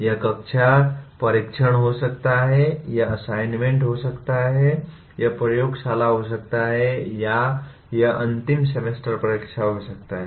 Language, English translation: Hindi, It could be class test, it could be assignments, it could be laboratory or it could be the end semester examination